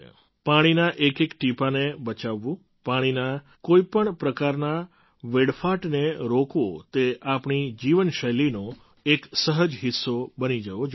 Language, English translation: Gujarati, Saving every drop of water, preventing any kind of wastage of water… it should become a natural part of our lifestyle